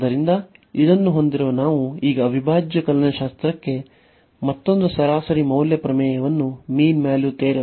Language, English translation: Kannada, So, having this now we get another mean value theorem for integral calculus